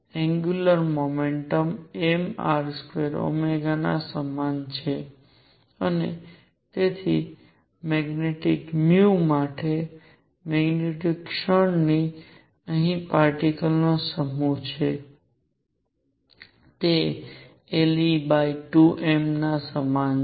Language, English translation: Gujarati, Angular momentum is equal to m R square omega and therefore, magnitude of mu for the magnetic moment m is the mass of the particle here, is equal to l e over 2 m